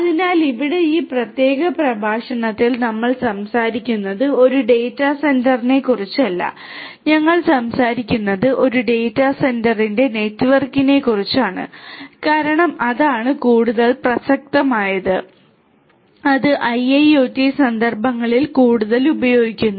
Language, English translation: Malayalam, So, here in this particular lecture we are not talking about a single data centre, we are talking about a network of data centre because that is what is more relevant and that is more used in the IIoT contexts